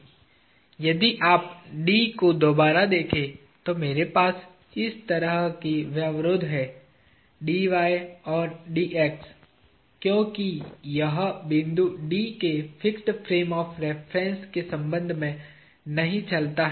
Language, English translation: Hindi, If you look at D again, I have a constraint like this and a constraint like this; Dy, Dx because this point D does not move with respect to the fixed frame of reference